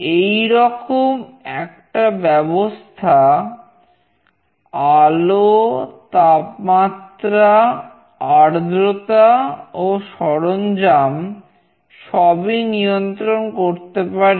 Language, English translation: Bengali, Such a system can control lighting, temperature, humidity, and appliances